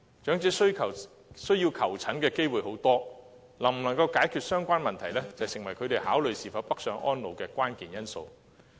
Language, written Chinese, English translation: Cantonese, 長者需要求診的機會很多，能否解決相關問題，成為他們考慮是否北上安老的關鍵因素。, Elderly persons have a greater need for medical treatment and whether the relevant issue can be tackled is the most crucial factor in considering northbound elderly care